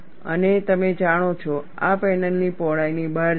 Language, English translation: Gujarati, You know, this goes beyond the panel width